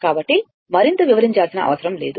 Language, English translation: Telugu, So, no need to explain further